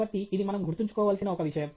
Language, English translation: Telugu, So, this is one thing that we need to keep in mind